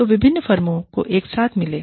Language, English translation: Hindi, So, different firms, get together